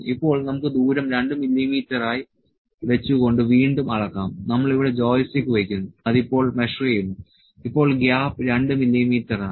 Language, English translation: Malayalam, Now, let us keep the distance as 2 mm and measure it again, we have kept the joystick here and it is now measuring now, the gap is 2 mm